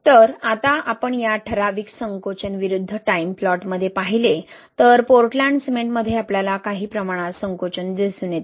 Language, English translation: Marathi, So, now if we look into this typical shrinkage versus time plot, in Portland cement we see some level of shrinkage, right